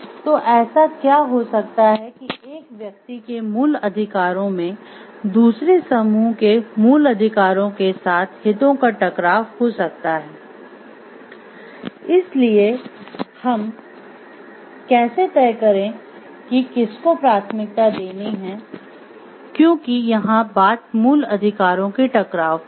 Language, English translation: Hindi, So, what may so happen the basic rights of one person may have a conflict of interest with the basic rights of the other group, so how do we decide whom to prioritize because there is a conflict of basic right